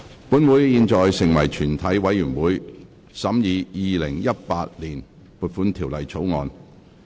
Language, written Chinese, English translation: Cantonese, 本會現在成為全體委員會，審議《2018年撥款條例草案》。, Council now becomes committee of the whole Council to consider the Appropriation Bill 2018